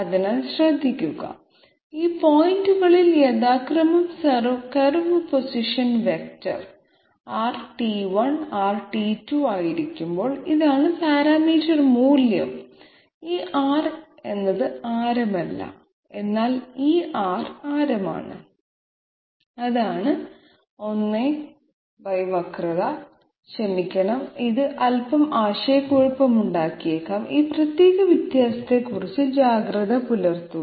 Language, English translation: Malayalam, So mind you, this is the parameter value while the curve position vector is R and R at these points respectively, this R is not the radius, this R however is the radius, this one, 1 by curvature I am sorry, this might be slightly confusing be alert about this particular difference